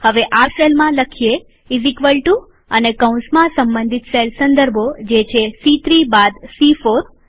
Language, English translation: Gujarati, Now in this cell, type is equal to and within braces the respective cell references, that is, C3 minus C4